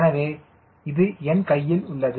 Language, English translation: Tamil, so this in my hand here is